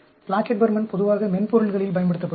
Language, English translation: Tamil, Plackett Burman is very commonly used in softwares